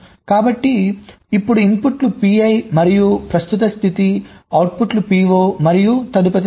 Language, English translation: Telugu, so now the inputs will be p, i and present state, the outputs will be p, o and next state